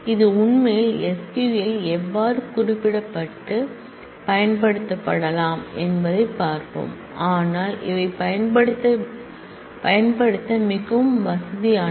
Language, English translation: Tamil, We will see how this really can be coded in SQL and used, but these are this become very convenient to use because often we will need to know